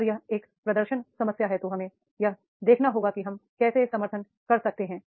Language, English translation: Hindi, So that is the performance problem is there, then we have to see that is how we can support